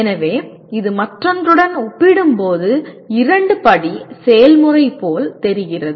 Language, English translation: Tamil, So this looks like a two step process compared to the other one